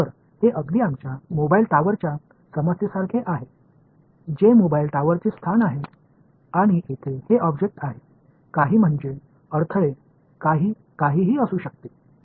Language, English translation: Marathi, So, this is exactly like our mobile tower problem J is the location of the mobile tower and this object over here inside is some I mean some obstacle could be anything ok